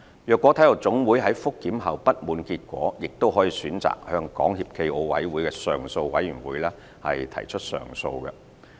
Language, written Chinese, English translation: Cantonese, 若體育總會在覆檢後不滿結果，亦可選擇向港協暨奧委會的上訴委員會提出上訴。, If the NSA is dissatisfied with the result of a review it may also elect to file an appeal to the Appeal Panel of SFOC